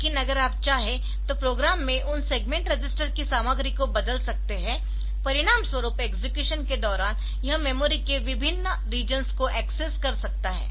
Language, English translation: Hindi, But if you want, so you can change the content of those segment registers in the program as a result it can access different regions of the program different regions of the memory during execution